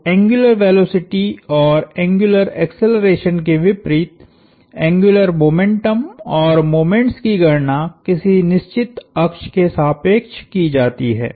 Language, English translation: Hindi, So, as opposed to angular velocities and angular accelerations, angular momentum and moments are computed about fixed axis about axis